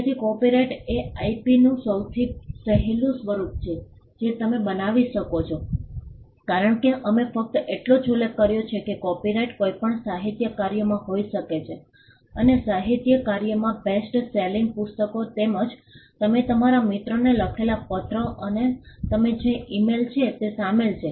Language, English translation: Gujarati, So, an copyright is the easiest form of IP that you can create because, we are just mentioned that copyright can exist in any literary work and literary work includes bestselling books as well as the letter that you write to your friend or an email that you compose and send it to your colleague